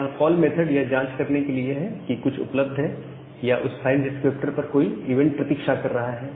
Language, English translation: Hindi, So, this poll method is to check that whether something is available to or some event is waiting on that file descriptor